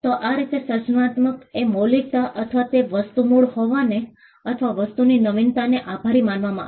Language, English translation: Gujarati, So, this is how creativity came to be attributed to originality or the thing being original or the thing being novel